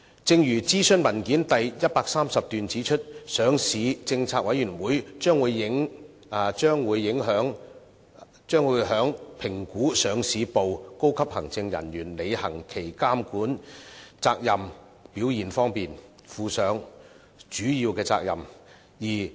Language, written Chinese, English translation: Cantonese, 正如諮詢文件第130段指出，上市政策委員會將會在評估上市部高級行政人員履行其監管責任的表現方面，負上主要責任。, As pointed out in paragraph 130 of the consultation paper LPC would have primary responsibility for appraising senior executives of the Listing Department in the performance of their regulatory responsibilities